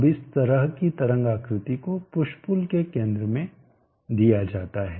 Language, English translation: Hindi, Now this kind of wave shape is given to the center of the push pull